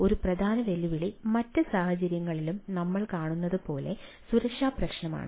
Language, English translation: Malayalam, one major challenges, as we see in other cases also, is security issues